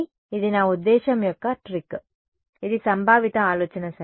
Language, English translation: Telugu, So, this is the trick of I mean this is the conceptual idea ok